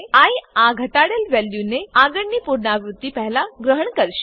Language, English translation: Gujarati, i will adopt this decremented value before the next iteration